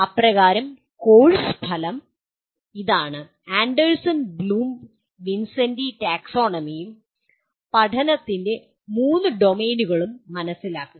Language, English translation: Malayalam, So the course outcome is: Understand Anderson Bloom Vincenti Taxonomy and the three domains of learning